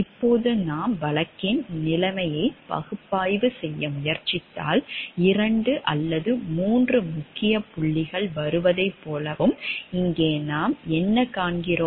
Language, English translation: Tamil, Now if we try to analyze the situation the case we find over there, like there are 2 or 3 major points coming up and what we find over here